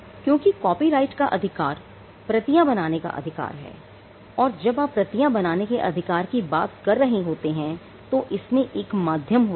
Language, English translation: Hindi, Because copyright is the right to make copies and when you are talking about the right to make copies where are you making those copies there is always a medium right